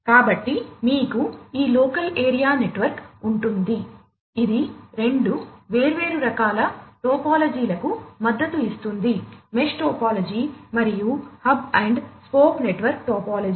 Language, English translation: Telugu, So, you have this local area network, which supports two different types of topologies, the mesh topology and the hub and spoke network topology